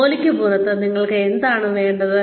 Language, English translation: Malayalam, What do you want outside of work